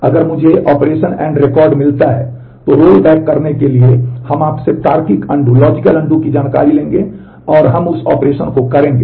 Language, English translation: Hindi, If I find an operation end record, then to rollback we will pick up the logical undo information from you and we will perform that operation